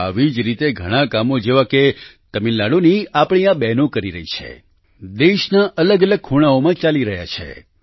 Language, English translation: Gujarati, Similarly, our sisters from Tamilnadu are undertaking myriad such tasks…many such tasks are being done in various corners of the country